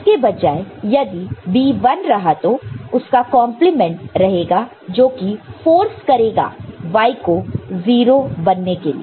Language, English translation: Hindi, So, instead of that, if B is 1, this output will be 0 which will force the Y to be 0